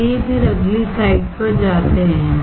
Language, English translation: Hindi, Let us go to the next slide then